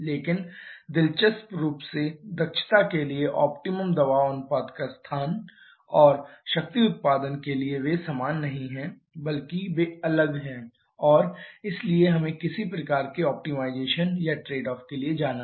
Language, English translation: Hindi, But interestingly the location of the optimum pressure ratio for the efficiency and for the power output they are not same rather they are different and therefore we have to go for some kind of optimization or trade off